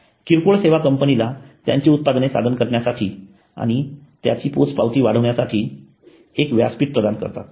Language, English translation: Marathi, Retail services provide a platform to the company to showcase their products and maximize their reach